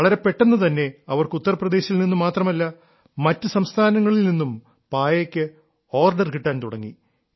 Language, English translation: Malayalam, Soon, they started getting orders for their mats not only from Uttar Pradesh, but also from other states